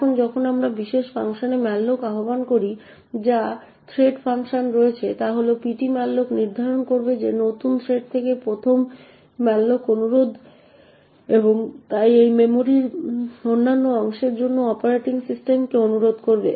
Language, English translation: Bengali, Now when we invoke malloc in this particular function that is in the thread function what would happen is that ptmalloc would determine that the 1st malloc request from the new thread and therefore it would request the operating system for other chunk of memory